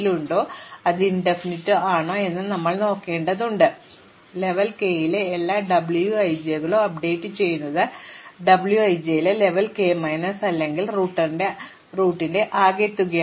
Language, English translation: Malayalam, And now, we do this ends n times, we do this iteration, that is we update all the W i j's at level k to be the minimum of the W i j's at level k minus 1 or the sum of the root